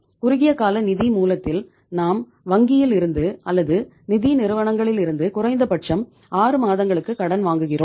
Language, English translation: Tamil, In the short term source of finance we borrow the money from the banks or financial institutions for a period of say minimum 6 months